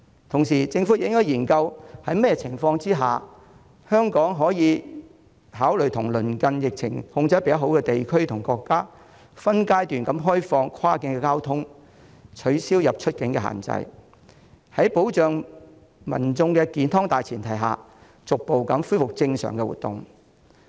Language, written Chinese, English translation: Cantonese, 同時，政府亦應該研究在甚麼情況下香港可以考慮對疫情較受控的鄰近地區和國家分階段開放跨境交通，取消出入境限制，在保障民眾健康的大前提下逐步恢復正常活動。, Meanwhile the Government should also study the circumstances under which Hong Kong may consider reopening in phases cross - boundary transport links with neighbouring regions and countries where the epidemic is relatively more under control lifting entry and exit restrictions and gradually resuming normal activities on the premise of protecting public health